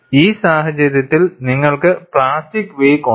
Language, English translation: Malayalam, For this case, you have the plastic wake